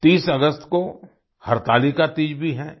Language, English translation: Hindi, Hartalika Teej too is on the 30th of August